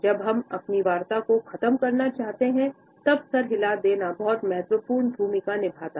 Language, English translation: Hindi, Head nodding also plays a very important role, when we want to take leave after the dialogue is over